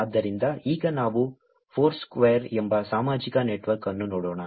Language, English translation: Kannada, So, now, let us look at a social network called Foursquare